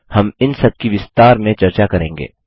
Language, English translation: Hindi, We will discuss each one of them in detail